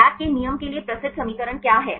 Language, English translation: Hindi, What is the famous equation for the Bragg’s law